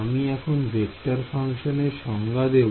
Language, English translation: Bengali, So, this is a definition of vector shape functions